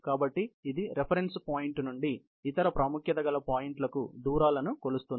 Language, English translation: Telugu, So, it measures the distances from the reference point to other points of importance